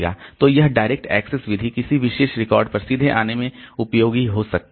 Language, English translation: Hindi, So, this direct access method so it can be useful to come to a particular record directly